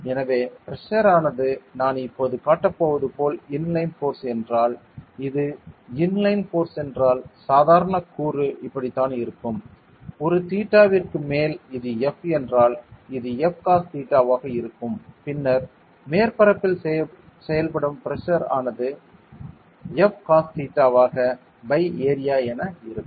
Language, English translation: Tamil, So, the pressure if it is an inline force like what I am going to show now so if it is an inline force then the normal component will be like this; over a theta if this is F then this is going to be F cos theta and then the pressure P acting on the surface will be F cos theta by area ok